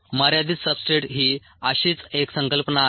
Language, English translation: Marathi, the limiting substrate is one such concept